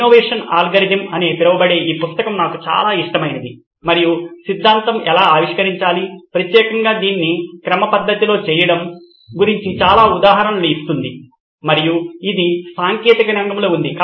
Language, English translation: Telugu, One of my favourite is this book called Innovation Algorithm and theory gives a lot of examples on how to innovate, invent particularly doing it systematically and this is in technical field because Altshuller himself was a mechanical engineer